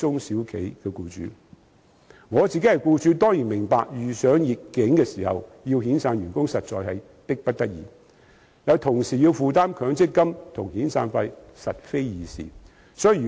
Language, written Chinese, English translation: Cantonese, 身為僱主，我當然明白遇上逆境時要遣散員工實在是迫不得已，但要同時負擔強積金和遣散費實非易事。, As an employer I certainly understand that some employers indeed have no alternative but to dismiss their employees in times of adversity and it is really not easy for employers to bear the cost of both MPF and severance payments